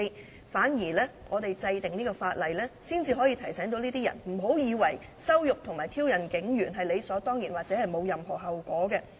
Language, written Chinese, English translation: Cantonese, 相反，立法才可以提醒這些人，不要以為羞辱和挑釁警務人員是理所當然或沒有後果的。, On the contrary only through the enactment of legislation can we remind these people not to think that insulting and provoking police officers is a matter of course or having no consequences